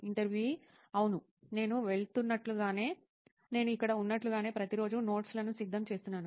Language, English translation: Telugu, Yeah, like now as I am going, I have been preparing notes every day like in here